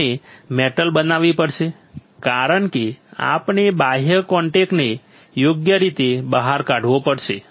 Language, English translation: Gujarati, We have to grow a metal because we have to take out the external contact right